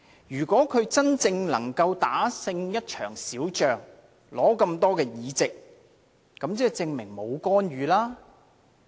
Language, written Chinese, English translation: Cantonese, 如果他真正能夠打勝一場小仗，得到這麼多席位，即證明沒有干預。, If he could really have won a small battle by winning many EC seats this proves that there was no interference